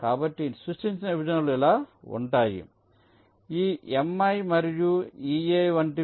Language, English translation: Telugu, so the partitions created will be like this: hm, like this: m i n e a